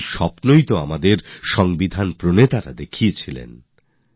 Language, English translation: Bengali, After all, this was the dream of the makers of our constitution